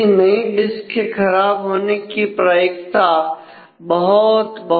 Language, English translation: Hindi, So, the probability of the failure of a new disk is very very low